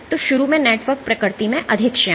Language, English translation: Hindi, So, initially the network is more viscous in nature